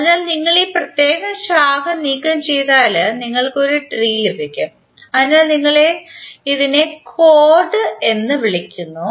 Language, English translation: Malayalam, So if you removed this particular branch then you get one tree so this is called chord